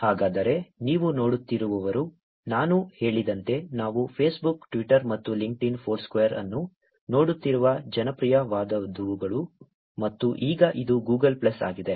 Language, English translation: Kannada, So, the ones that you are looking at, as I said is only the popular ones that we are looking at Facebook, Twitter and LinkedIn, Foursquare and now this is Google Plus